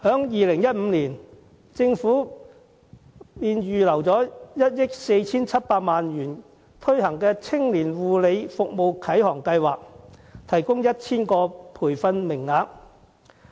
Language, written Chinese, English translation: Cantonese, 2015年，政府預留1億 4,700 萬元推行"青年護理服務啟航計劃"，提供 1,000 個培訓名額。, In 2015 the Government earmarked 147 million for launching the Navigation Scheme for Young Persons in Care Services the Scheme which provide 1 000 training places